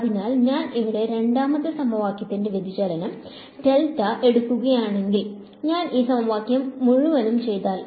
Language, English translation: Malayalam, So, if I take divergence of the second equation over here, if I do del dot this whole equation